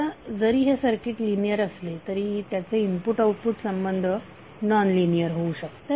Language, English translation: Marathi, So now these, although this circuit may be linear but its input output relationship may become nonlinear